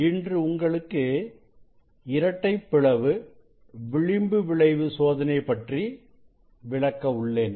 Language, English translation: Tamil, today I will demonstrate Double Slit Diffraction experiment